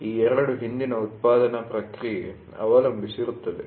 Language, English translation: Kannada, These two depends on the previous manufacturing process